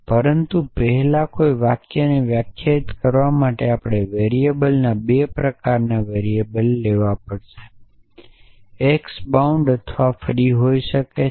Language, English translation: Gujarati, But to define a sentence first we have to characterize variables in to 2 kinds variable x can be either bound or free